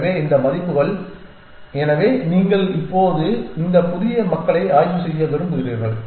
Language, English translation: Tamil, So, these are the values so want you to now inspect this new population